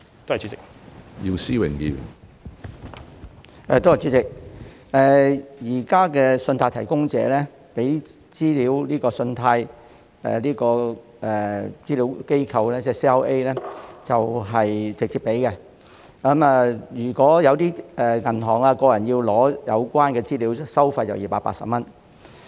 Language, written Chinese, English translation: Cantonese, 主席，目前，信貸提供者會直接向信貸資料服務機構提供資料。如果銀行或個人需要索取有關資料，收費是280元。, President while credit data are currently provided directly to CRAs by credit providers banks or individuals are required to pay 280 for obtaining such data